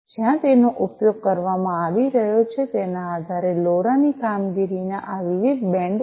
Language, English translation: Gujarati, These are the different bands of operation of LoRa depending on the territory where it is being used